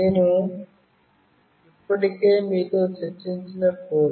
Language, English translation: Telugu, The code I have already discussed with you